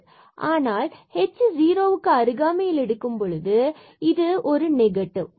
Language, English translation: Tamil, But if you go pretty close to h to 0 for example, h is equal to 0